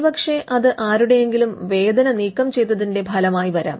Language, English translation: Malayalam, Or it could come as a result of removing somebody’s pain